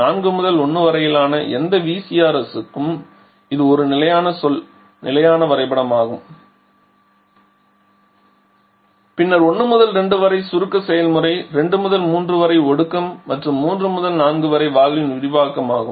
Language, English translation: Tamil, Now if it is the same refrigerant then look at the bottoming cycle is a standard say standard diagram for any VCRS that is 4 to 1 is the evaporation process then 1 to 2 is the compression process 2 to 3 is a condition and 3 to 4 is the expansion in the valve